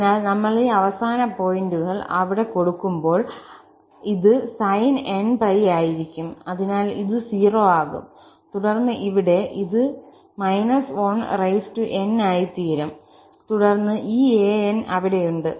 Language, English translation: Malayalam, So, when we put this end points there, this will be sin npi, so it will become 0 and then here, it will become minus 1 power n and then, we have these an’s there